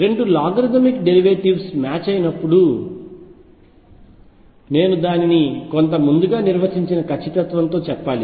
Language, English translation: Telugu, When the 2 logarithmic derivatives match, and I have to say it within some predefined accuracy